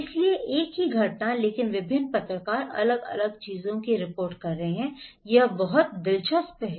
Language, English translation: Hindi, So, same event but different journalists are reporting different things, it’s so interesting